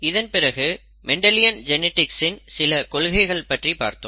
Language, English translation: Tamil, And then some principles of Mendelian genetics